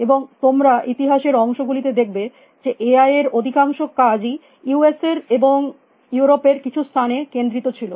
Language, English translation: Bengali, And as you will see in the history parts today most of these work in A I was concentrated in a few places in the US and few places in Europe